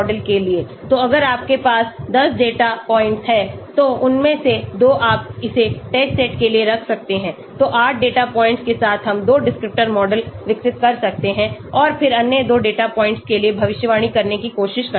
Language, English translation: Hindi, So if you have 10 data points so 2 of them you can keep it for test set so with 8 data points we can may be develop a 2 descriptor model and then try to predict for the other 2 data points the activity value